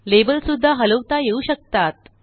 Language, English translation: Marathi, Labels can also be moved